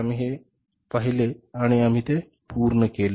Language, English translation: Marathi, We have seen it and we have done it